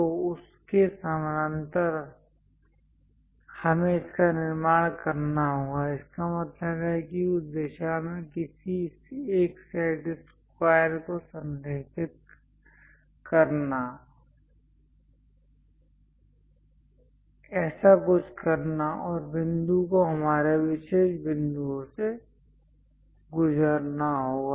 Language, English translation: Hindi, So, parallel to that, we have to construct it; that means align one of your set squares in that direction, something like that, and the point has to pass through our particular points